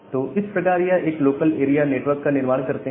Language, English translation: Hindi, So, they form a, they form a local area network